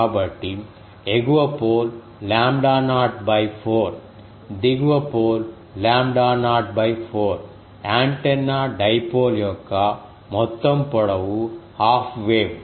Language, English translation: Telugu, So, the upper pole is lambda naught by 4, the lower pole is lambda naught by 4, the total length of the antenna dipole that is half wave